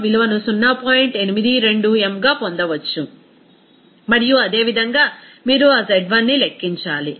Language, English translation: Telugu, 82 m and similarly, you need to calculate that z1